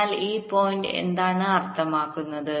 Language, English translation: Malayalam, so what does this point mean